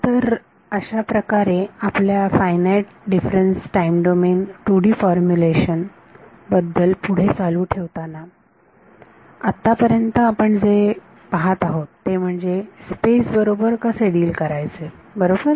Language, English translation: Marathi, So continuing with our Finite Difference Time Domain 2D Formulation is what we are looking at what we have seen so far is how to deal with space right